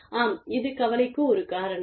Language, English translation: Tamil, Yes, this is a cause for concern